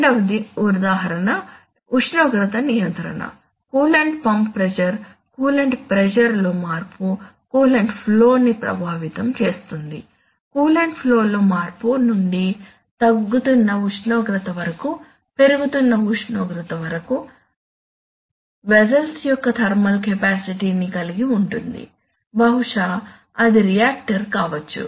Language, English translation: Telugu, Second one is for example control of temperature, for example coolant pump pressure, the coolant pump pressure, coolant will pump pressure change will affect coolant flow, coolant flow will, from the change in coolant flow to the falling temperature, to the rising temperature, is, involves the thermal capacity of the, let us say of the, of the vessel, there is a reactor, maybe it is a reactor